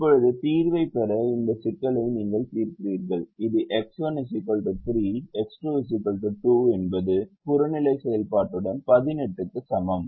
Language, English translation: Tamil, now you solve this problem to get the solution which is x one equal to three, x two equal to two, with objective function is equal to eighteen